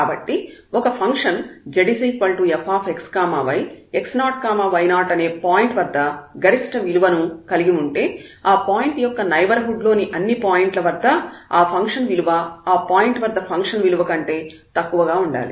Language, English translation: Telugu, So, a functions z is equal to f x y has a maximum at the point x 0 y 0 if at every point in a neighborhood of this point the function assumes a smaller values then the point itself